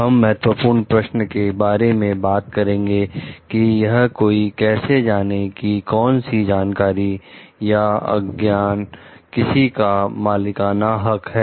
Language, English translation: Hindi, We will discuss now about the key question which is like how does one know like what knowledge or information is proprietary